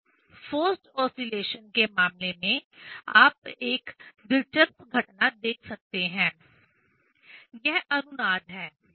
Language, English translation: Hindi, Here in case of forced oscillation, interesting phenomena one can see; this is the resonanc